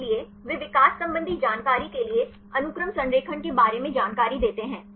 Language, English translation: Hindi, So, they give the information regarding the sequence alignment for the evolutionary information